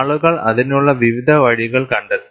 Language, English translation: Malayalam, And people have found various ways to do that